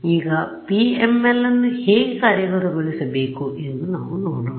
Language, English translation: Kannada, So now, next is we will look at how to implement PML